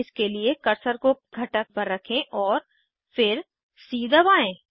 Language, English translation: Hindi, For this, keep the cursor on the component and then press c